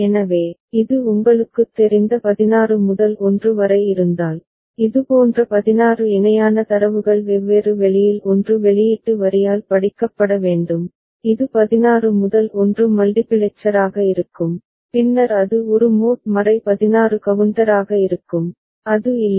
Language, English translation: Tamil, So, if it is a 16 to 1 you know, 16 such parallel data read to be read by 1 output line in different point of time, then this would be 16 to 1 multiplexer and then it will be a mod 16 counter, is not it